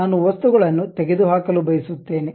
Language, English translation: Kannada, I want to remove the material